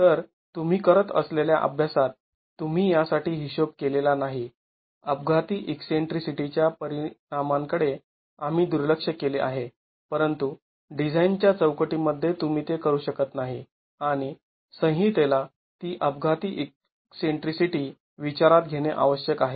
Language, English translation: Marathi, So, in the exercise that you have been doing, you have not accounted for, we have neglected the effect of accidental eccentricity, but within a design framework you cannot do that and the code requires that accidental eccentricity be considered